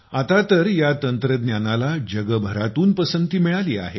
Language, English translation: Marathi, Now this technique is being appreciated all over the world